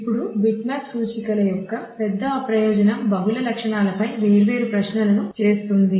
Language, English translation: Telugu, Now the big advantage of bitmap indices are doing different queries on multiple attributes